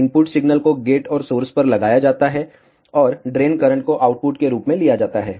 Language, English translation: Hindi, The input signal is applied across the gate and the source, and the drain current is taken as the output